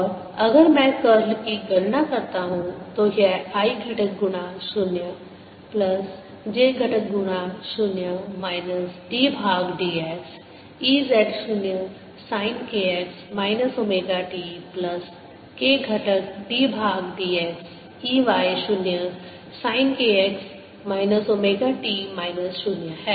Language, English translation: Hindi, and if i calculate the curl, it comes out to be i component times zero plus j component times zero minus d by d x of e, z zero sine of k x minus omega t plus k component d by d x of e y zero